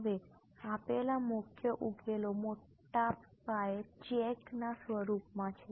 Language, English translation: Gujarati, Now the major solutions given are in the form of big paycheck